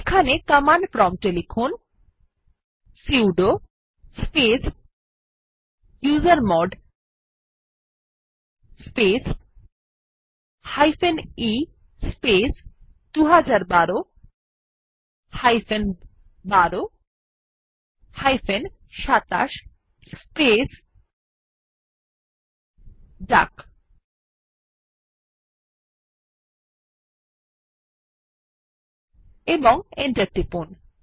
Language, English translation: Bengali, Here at the command prompt type sudo space usermod space e space 2012 12 27 space duck and press Enter